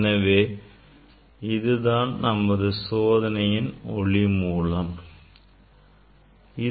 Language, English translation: Tamil, this is the source for our experiment